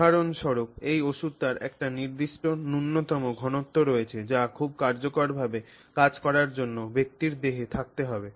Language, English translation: Bengali, So, just for example sake, let's say there's a certain minimum concentration of this medicine that has to be there in the person's body for it to very effectively function